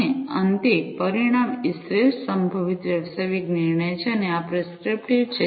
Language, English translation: Gujarati, And finally, the outcome is the best possible business decision and this is prescriptive